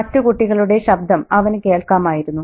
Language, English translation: Malayalam, Could he hear the children's voices